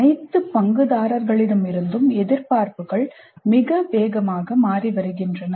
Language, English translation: Tamil, The expectations from all the stakeholders are changing very rapidly